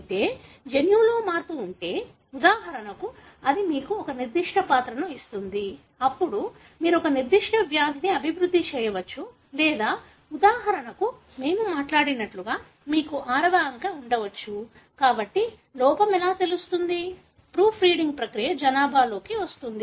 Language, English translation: Telugu, But if the change is there in the gene, for example that gives you a particular character, then you may develop a particular disease or for example, you may have the sixth digit like what we spoke about, so that is how know an error which escapes the proof reading process comes into populations